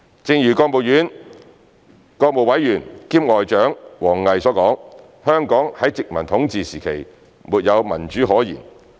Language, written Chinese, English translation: Cantonese, 正如國務委員兼外長王毅所說，香港在殖民統治時期沒有民主可言。, Just as Mr WANG Yi the State Councilor and Minister of Foreign Affairs has pointed out there was no democracy to speak of in Hong Kong under the colonial rule